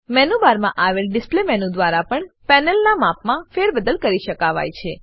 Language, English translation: Gujarati, Display menu in the menu bar can also be used to change the size of the panel